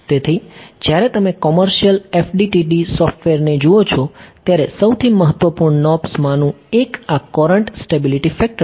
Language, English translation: Gujarati, So, when you look at commercial FDTD software, one of the most important knobs is this courant stability factor